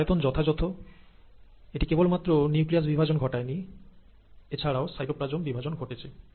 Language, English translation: Bengali, The cell size is appropriate because now, it has not only divide the nucleus, it has divide the cytoplasm